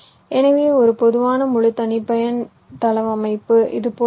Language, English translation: Tamil, so a typical full custom layout can look like this